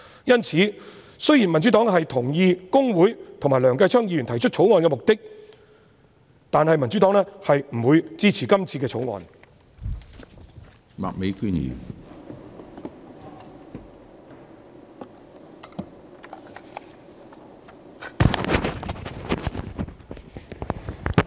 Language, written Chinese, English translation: Cantonese, 因此，雖然民主黨同意公會和梁繼昌議員提出《條例草案》的目的，但不會支持《條例草案》。, Thus although the Democratic Party agrees with the purpose of the Bill proposed by Mr Kenneth LEUNG we will not support the Bill